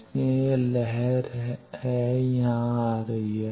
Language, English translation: Hindi, So, this wave is coming here